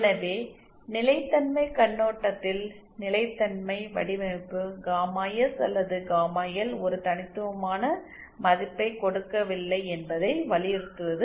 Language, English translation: Tamil, So stability design from a stability point of view as just to emphasize it does not give a unique value of gamma S or gamma L just gives a region